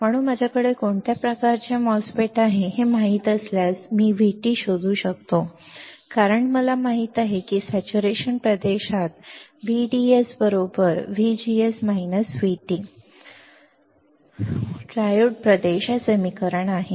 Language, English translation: Marathi, So, if I know what kind of MOSFET I have, I can find out V T because I know that in saturation region V D S equals to V G S minus V T, triode region; this is the equation